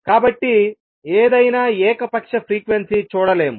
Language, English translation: Telugu, So, any arbitrary frequency cannot be seen for example